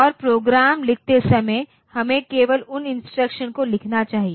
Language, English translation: Hindi, And while writing programs, we should write following those instructions only